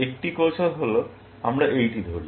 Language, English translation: Bengali, One strategy is, let us say this one